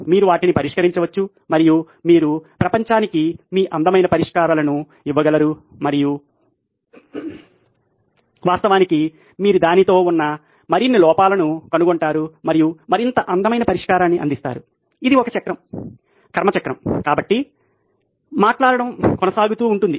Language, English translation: Telugu, You can solve them and you can give the world your beautiful solutions and of course you will find more flaws with that and provide more beautiful solution this is a cycle, the karmic cycle so to speak it keeps going